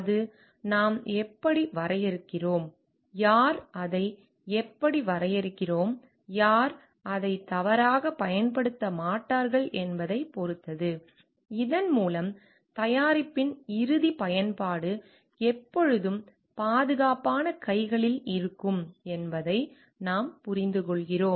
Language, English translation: Tamil, Then it depends on how we are defining, who will be using it how we are defining, who will not be using it by mistake also, so that we understand the end use of the product will always being safe hands